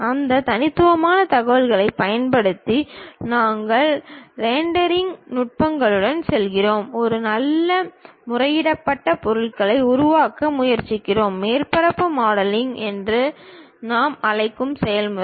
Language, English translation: Tamil, Using those discrete information, we go with rendering techniques, try to construct a nice appealed object; that kind of process what we call surface modelling